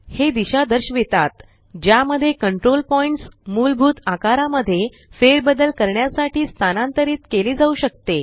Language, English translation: Marathi, This indicates the directions in which the control point can be moved to manipulate the basic shape